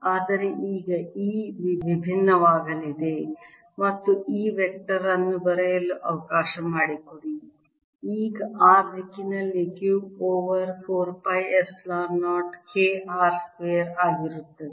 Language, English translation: Kannada, but now e is going to be different and let me write e vector now is going to be q over four pi epsilon zero k r square in the r direction